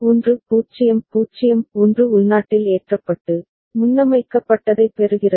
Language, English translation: Tamil, 1 0 0 1 was internally getting loaded, getting preset ok